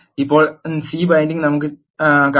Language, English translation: Malayalam, Now, let us see the C bind